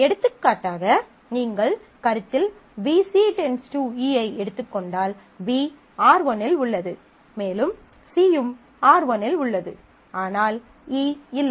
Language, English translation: Tamil, For example, if you consider BC determining E, then B exist on R1 and C also exist on R1, but E is not there